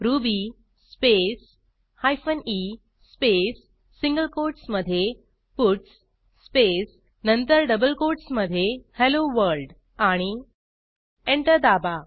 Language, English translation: Marathi, Type the command ruby space hyphen e space within single quotes puts space then within double quotes Hello World and Press Enter